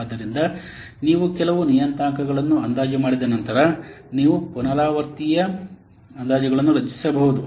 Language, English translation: Kannada, So, once you estimate for some parameter, you can generate repeatable estimations